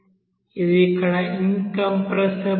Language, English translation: Telugu, That is here incompressible flow